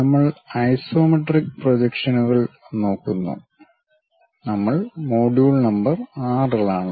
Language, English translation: Malayalam, We are covering Isometric Projections and we are in module number 6